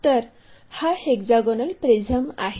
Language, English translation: Marathi, So, first draw a hexagonal prism